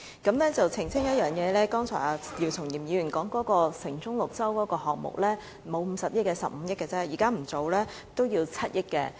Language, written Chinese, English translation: Cantonese, 我要澄清一點，姚松炎議員剛才所說的"城中綠洲"項目不是50億元，只是15億元，即使現在不進行這項目，也要7億元。, I need to clarify that the proposed cost of the Central Oasis design which Dr YIU Chung - yim just mentioned is not 5 billion . It should be 1.5 billion . Now this option is dropped and the current option will still cost 700 million